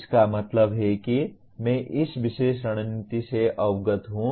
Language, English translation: Hindi, That means I am aware of this particular strategy